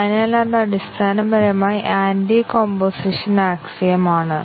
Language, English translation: Malayalam, So, that is basically the anti composition axiom,again